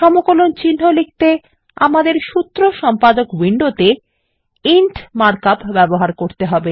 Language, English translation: Bengali, To write an integral symbol, we just need to use the mark up int in the Formula Editor Window